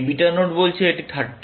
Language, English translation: Bengali, This beta node is saying it is 30